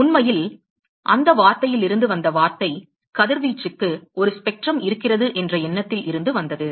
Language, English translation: Tamil, Really the word the word come from the word comes from the idea that there is a spectrum for radiation